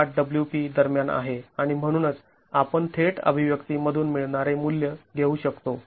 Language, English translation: Marathi, 18 into WP and hence we can take the value that we get directly from the expression